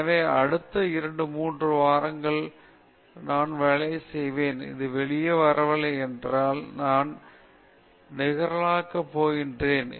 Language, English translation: Tamil, So, you say the next two three weeks I will work, if it is not coming out, I will discard